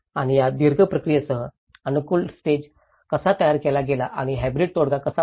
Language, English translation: Marathi, And with this long run process, how an adaptation stage was create and hybrid settlement